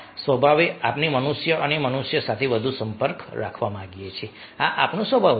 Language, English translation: Gujarati, by nature, we human being want to have more contacts with other human beings